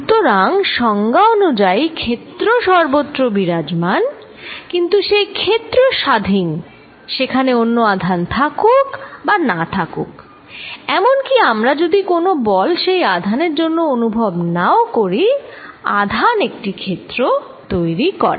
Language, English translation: Bengali, So, by definition field exists everywhere, but that field exist independent of whether the charges there or not, even that we do not feel any force this charge by itself is creating a field